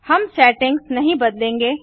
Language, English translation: Hindi, We will not change the settings